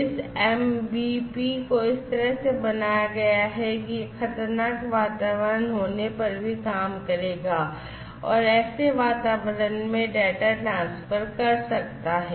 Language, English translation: Hindi, Because, it has been built in such a manner that, this MBP will still work even if there is a hazardous environment, this MBP will still transfer data in such kind of environment